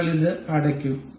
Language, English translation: Malayalam, We will close this